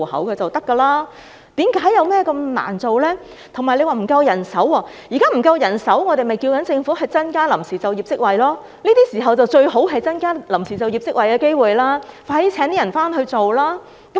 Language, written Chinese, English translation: Cantonese, 至於政府表示人手不足，我們認為如果是因為現時人手不足，政府便應增加臨時就業職位，這是最適合增加臨時就業職位的時機，當局應加快聘請人手處理。, As for the manpower shortage which the Government mentioned we consider that if manpower shortage is the reason the Government should create temporary posts . In fact this is the best timing for increasing temporary posts and the authorities should speed up recruitment